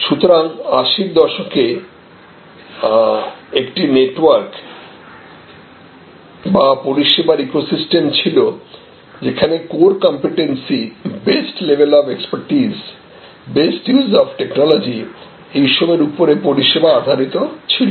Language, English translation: Bengali, So, in the 80’s actually a network or eco system of service, where according to competence core competence according to the best level of expertise best use of technology the all these services, that you see in front of you